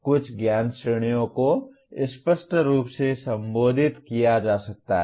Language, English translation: Hindi, Some knowledge categories may be implicitly addressed